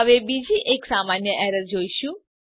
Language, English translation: Gujarati, Now we will see another common error